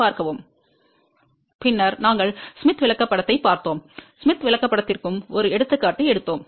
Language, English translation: Tamil, Then, we had looked into the Smith Chart and we took an example of the Smith Chart also